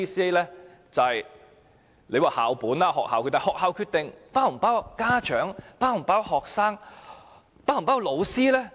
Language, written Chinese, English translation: Cantonese, 當局指這是校本政策，但學校的決定是否包括家長、學生和教師？, The authorities claim that this is a school - oriented policy . But have schools included parents students and teachers in their decision - making process?